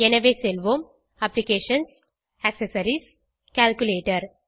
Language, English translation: Tamil, So lets go to Applications, Accessories, Calculator